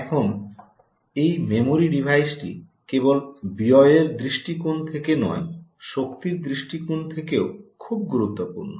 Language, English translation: Bengali, now, this memory devices is ah, very, very critical, not just from cost perspective, but also from the perspective of um the ah energy